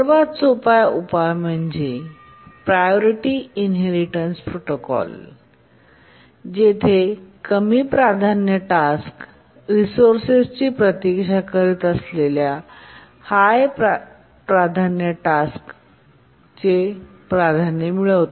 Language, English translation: Marathi, The simplest solution is the priority inheritance protocol where a low priority task inherits the priority of high priority task waiting for the resource